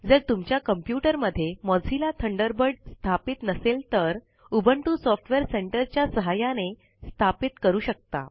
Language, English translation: Marathi, If you do not have Mozilla Thunderbird installed on your computer, you can install it by using Ubuntu Software Centre